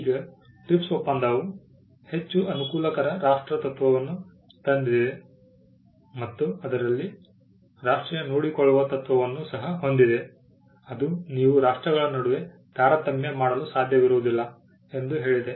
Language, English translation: Kannada, Now the TRIPS agreement brought in the most favoured nation principle and it also had the national treatment principle in it which said that you cannot discriminate between nations